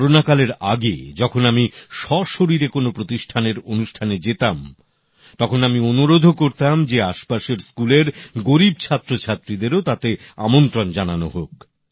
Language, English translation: Bengali, Before Corona when I used to go for a face to face event at any institution, I would urge that poor students from nearby schools to be invited to the function